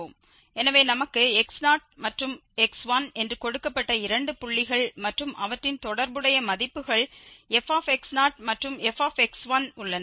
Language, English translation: Tamil, So, given that we have two points x naught and x 1 and their corresponding values f x naught and f x 1 are given